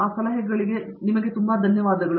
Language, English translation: Kannada, With those words of advice, thank you very much